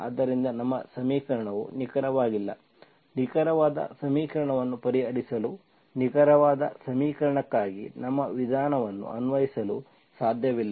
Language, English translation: Kannada, So my equation is not an exact, we cannot apply our method for exact equation to solve the exact equation